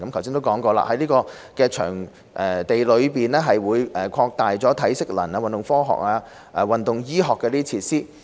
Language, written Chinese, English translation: Cantonese, 正如剛才提及，新的訓練場地將擴大體適能、運動科學及運動醫學的設施。, As mentioned before the new facilities building will expand the facilities on strength and conditioning sports science and sports medicine